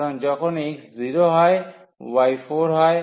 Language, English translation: Bengali, So, when x is 0 the y is 4